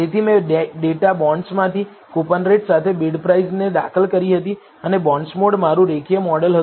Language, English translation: Gujarati, So, I had regressed BidPrice with coupon rate from the data bonds and bondsmod was my linear model